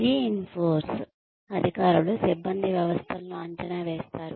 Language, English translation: Telugu, Reinforcing authorities evaluate personnel systems